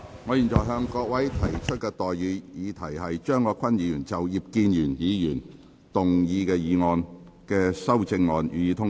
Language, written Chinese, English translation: Cantonese, 我現在向各位提出的待議議題是：張國鈞議員就葉建源議員議案動議的修正案，予以通過。, I now propose the question to you and that is That the amendment moved by Mr CHEUNG Kwok - kwan to Mr IP Kin - yuens motion be passed